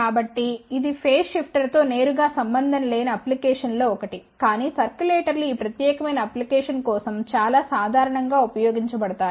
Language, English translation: Telugu, So, this is one of the application not related directly to the phase shifter, but circulators are used for this particular application very commonly